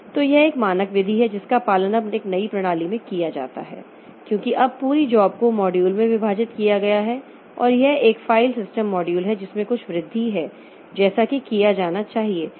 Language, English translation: Hindi, So, this is a standard method that is followed now in new systems because now the whole job is divided into modules and if a file system module there is something some augmentation has to be done it should not affect my CPU scheduling module